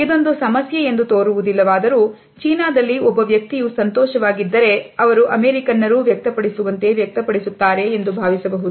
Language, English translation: Kannada, While this might not seem like a large issue or one would think that if a person is happy in China, they will show it the same way as if Americans do